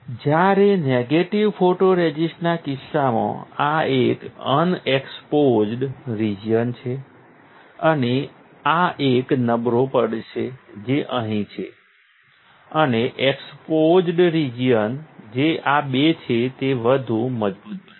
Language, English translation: Gujarati, While in the case of negative photoresist the unexposed region which is this one and this one, will be weaker which is here and the exposed region which is this two is become stronger